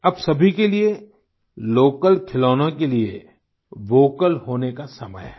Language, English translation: Hindi, For everybody it is the time to get vocal for local toys